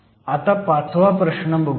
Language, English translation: Marathi, Let us now look at the 5th problem